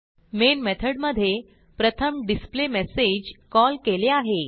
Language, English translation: Marathi, In the Main method, we have first called the displayMessage